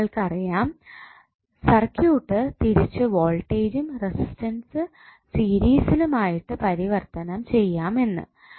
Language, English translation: Malayalam, Now, you know you can again transform the circuit back into voltage and one resistance in series so what will happen